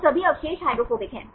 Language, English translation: Hindi, So, all residues are hydrophobic